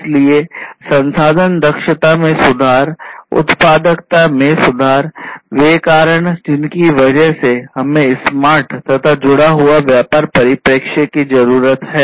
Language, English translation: Hindi, So, improved resource efficiency; improved productivity are the reasons why we need to take smart and connected business perspective